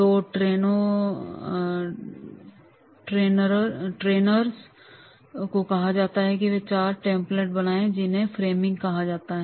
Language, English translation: Hindi, So, the trainees are to be asked to create that four templates that is called the framing